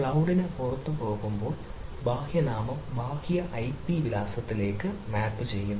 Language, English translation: Malayalam, so when we go to the outside the cloud, then the external name is mapped to the external ip address